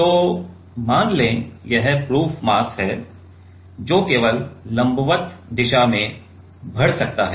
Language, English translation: Hindi, So, let us say that, there is this proof mass, which can move in on the vertical direction only ok